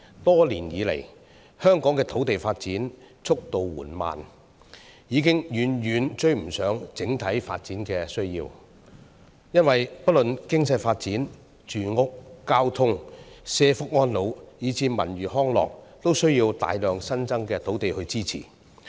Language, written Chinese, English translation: Cantonese, 多年以來，香港的土地發展速度緩慢，已經遠遠追不上整體發展需要。因為不論經濟發展、住屋、交通、社福安老，以至文娛康樂等，都需要大量新增土地支持。, Over the years Hong Kongs land development has been far too slow to catch up with the overall development needs as a significant amount of new land is needed to support economic development housing transport social welfare elderly care culture and recreation among others